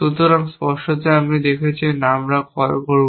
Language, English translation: Bengali, So, obviously as you saw, when we call, what will we do